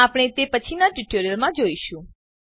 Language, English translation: Gujarati, We shall see that in later tutorials